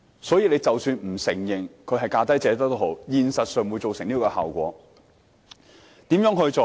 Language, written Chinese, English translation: Cantonese, 所以，即使政府不承認是"價低者得"，現實上亦造成這效果。, Hence even if the Government denies lowest bid wins such an effect has been produced in reality